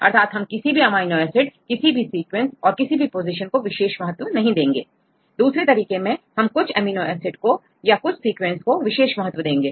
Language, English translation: Hindi, So, we do not give any weightage to any sequence or any positions or any amino acids and the second one we give weightage to some amino acids or to some sequences